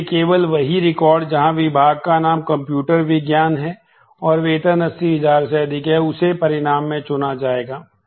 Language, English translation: Hindi, So, only records where the department name is computer science and salary is greater than 8000 will be chosen in the result